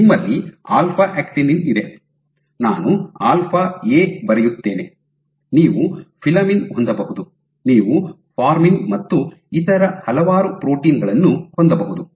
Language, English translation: Kannada, So, you have alpha actinin, I will write alpha A, you can have filamin, you can have formin and various other protein